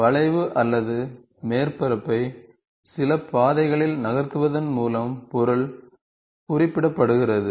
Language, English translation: Tamil, The object is represented by moving a curve or a surface along a some path